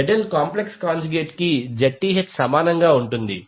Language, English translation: Telugu, ZL will be equal to complex conjugate of Zth